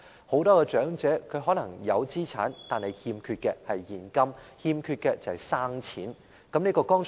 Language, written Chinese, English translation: Cantonese, 很多長者可能有資產，但欠缺現金或"生錢"。, Many elderly people may have assets but lack cash or disposable money